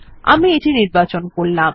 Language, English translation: Bengali, I will select this one